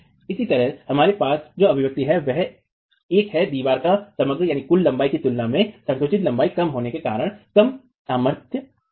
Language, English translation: Hindi, Similarly the expression that we have here is looking at a reduced strength because of the compressed length being lesser than the overall length of the wall itself